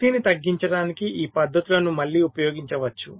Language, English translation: Telugu, these methods can be used, again, to reduce power